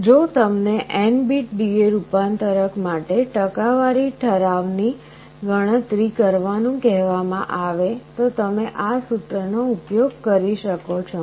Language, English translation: Gujarati, If you are asked to compute the percentage resolution of an N bit D/A converter, you will be using this formula